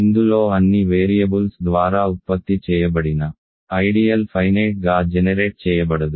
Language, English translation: Telugu, In this the ideal generated by all the variables is not finitely generated